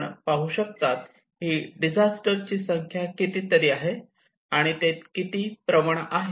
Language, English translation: Marathi, So you can see that these are the number of disasters and how they are very much prone